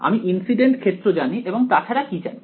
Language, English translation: Bengali, I know the incident field what else do I know